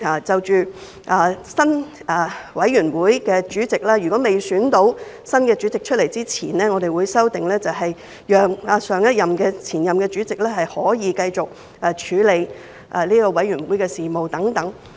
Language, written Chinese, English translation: Cantonese, 就選舉委員會主席的程序，我們亦作出了修訂，如果委員會未選出新任主席，前任主席可繼續處理委員會的事務等。, In the case of the procedures for electing committee chairmen we have likewise introduced amendment . If a committee is unable to return a chairman for a new session the chairman for the previous session may continue to handle the business of the committee concerned